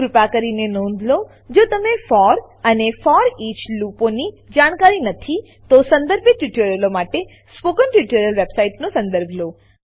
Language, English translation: Gujarati, Please Note: If you are not aware of for and foreach loops, please go through the relevant spoken tutorials on spoken tutorial website